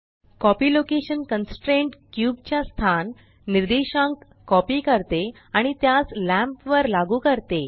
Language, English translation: Marathi, The copy location constraint copies the location coordinates of the cube and applies it to the lamp